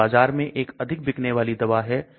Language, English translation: Hindi, This is the one of the top selling drugs in the market